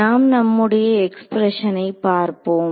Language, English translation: Tamil, So, let us let us look at the expression that I had